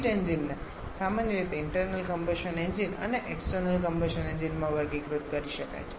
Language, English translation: Gujarati, Heat engines can commonly be classified into an internal combustion engine and external combustion engine